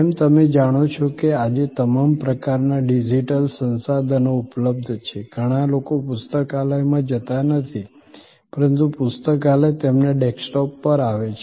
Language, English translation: Gujarati, As you know today with all kinds of digital resources being available, many people do not go to the library, but that the library comes to their desktop